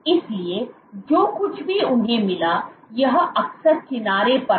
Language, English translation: Hindi, So, what they found was, so often at the edge